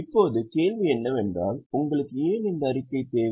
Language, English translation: Tamil, Now, naturally the question comes is why do you need this statement